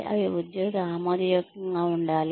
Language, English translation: Telugu, They should be acceptable to the employee